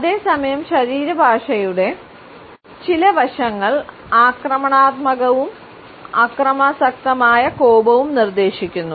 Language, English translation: Malayalam, Whereas, some aspects of body language can be aggressive and suggest a violent temper